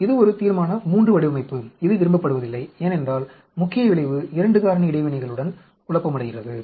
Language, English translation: Tamil, This is a Resolution III design which is not desired at all because the main effect is confounded with 2 factor interaction